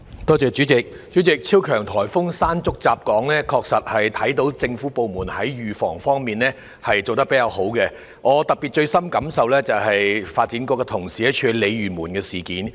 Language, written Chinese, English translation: Cantonese, 代理主席，超強颱風"山竹"襲港時，確實看到政府部門在預防方面做得較佳，我最深感受的是發展局同事處理鯉魚門的事。, Deputy President during the periods when Super Typhoon Mangkhut hit Hong Kong I could actually see that the Government had executed the preventive measures properly . I feel deeply about the assistance colleagues of the Development Bureau rendered residents living in Lei Yue Mun